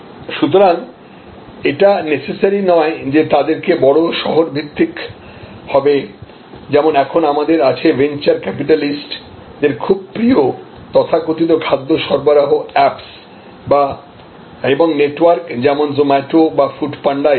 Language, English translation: Bengali, So, not necessarily therefore some of them are high city based, so you do have now drawling of the venture capitalist the so called food delivery apps and food delivery networks like Zomato or Food Panda and so on